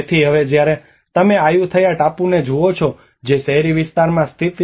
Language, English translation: Gujarati, So now when you look at the Ayutthaya island which is located in the urban area